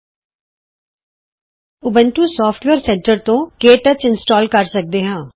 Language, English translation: Punjabi, You can install KTouch using the Ubuntu Software Centre